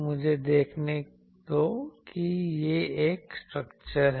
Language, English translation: Hindi, Let me see this is the structure